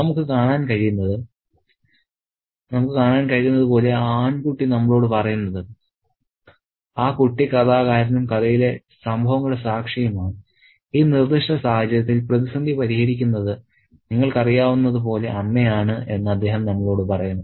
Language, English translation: Malayalam, As we see the boy tells us, the boy who is the narrator and witness to the events in the story, he tells us that the mother is the one who kind of, you know, gets the crisis solved in this particular case